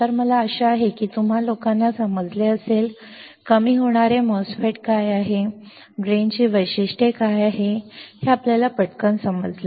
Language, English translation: Marathi, So, I hope that you guys understood, what is a depletion MOSFET; you understood quickly what are the Drain characteristics